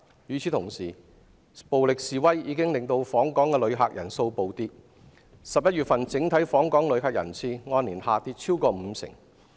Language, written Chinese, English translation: Cantonese, 與此同時，暴力示威已令訪港旅客人數暴跌 ，11 月份整體訪港旅客人次按年下跌超過五成。, At the same time violent protests have caused a plummet in the number of visitors to Hong Kong with the overall figure for November falling by more than 50 % on a year - on - year basis